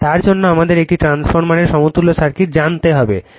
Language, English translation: Bengali, For that we need to know the equivalent circuit of a transformer, right